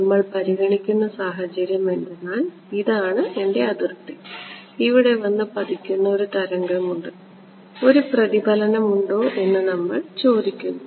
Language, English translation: Malayalam, We have the situation we are considering is this is my boundary and I have a wave that is incident over here and we are asking that is there a reflection